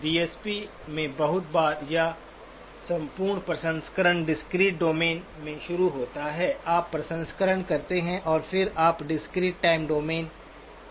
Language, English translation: Hindi, In DSP very often or entire processing starts in the discrete domain, you do the processing and then you do the output in the discrete time domain